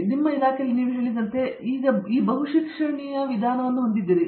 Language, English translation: Kannada, So, in your department as you mentioned, you have this multidisciplinary approach